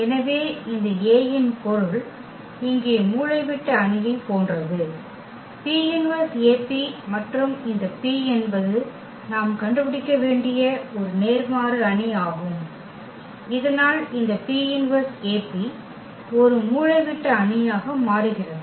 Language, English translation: Tamil, So, the meaning this A is similar to the diagonal matrix here; AP inverse AP and this P is invertible matrix which we have to find, so that this P inverse AP becomes a diagonal matrix